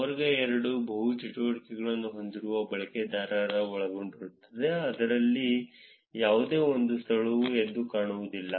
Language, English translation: Kannada, Class 2 is consists of users with multiple activities in which there is no single location that stands out